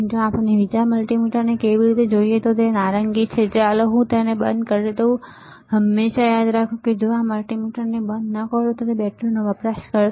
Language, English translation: Gujarati, So, how about we see the other multimeter, right which is the orange one, let me switch it off always remember if you do not switch off the multimeter it will consume the battery